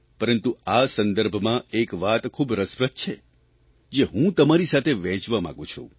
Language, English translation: Gujarati, In this context I feel like sharing with you something very interesting